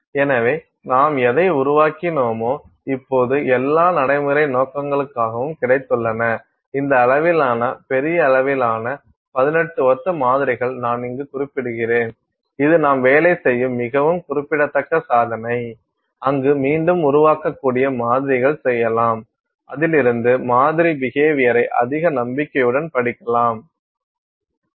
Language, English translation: Tamil, So, whatever you have generated you have now got for all practical purposes 18 identical samples of this size of this fairly large size that I am mentioning here which is a very significant accomplishment for you to do work, where you are doing reproducible samples, where you can study sample behavior with much greater confidence